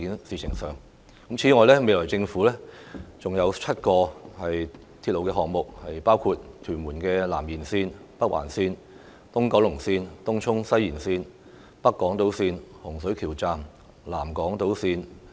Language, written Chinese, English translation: Cantonese, 此外，規劃中的鐵路項目尚有7個，包括屯門南延綫、北環綫、東九龍綫、東涌西延綫、北港島綫、洪水橋站、南港島綫。, Moreover there are still seven railway projects under planning including the Tuen Mun South Extension Northern Link East Kowloon Line Tung Chung West Extension North Island Line Hung Shui Kiu Station and South Island Line West